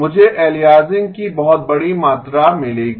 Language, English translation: Hindi, I will get a very large amount of aliasing